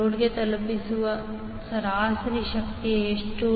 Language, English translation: Kannada, What is the average power delivered to the load